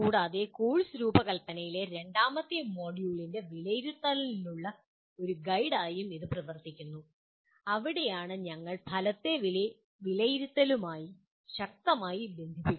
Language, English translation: Malayalam, And it also acts as a guide for assessment in the second module on course design that is where we strongly link assessment to the outcome